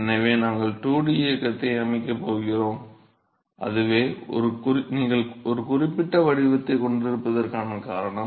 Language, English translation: Tamil, So, therefore, we are going to set up a 2 dimensional motion and that is a reason why you have a certain shape